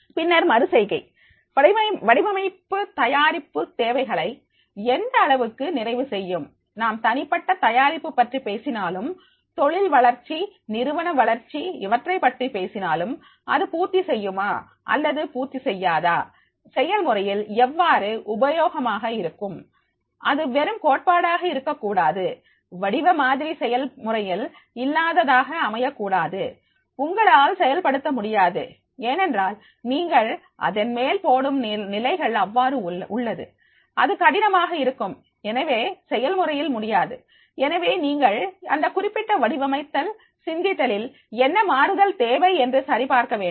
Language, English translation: Tamil, Then the iterations, how does the design stand up to the demands of the development, whether whatever we are talking about the individual development, career development, organization development does it meet or it does not meet, how useful it is in practice, it should not be the only theoretical, the design model should not be such that is which is practically not if you or one cannot implement because the conditions which you have put on this then that will be a difficult there is practically may not possible so that you have to check and what changes are needed to go for this particular design thinking